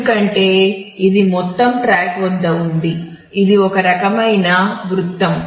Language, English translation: Telugu, Because, it is at the whole track is a is kind of a circle